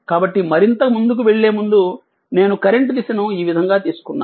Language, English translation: Telugu, So, before moving further, before moving further just one thing that current direction I have taken like this